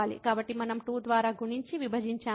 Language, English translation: Telugu, So, we multiplied and divided by 2